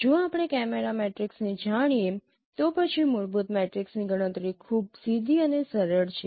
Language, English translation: Gujarati, If we know the camera matrices then computation of fundamental matrix is very direct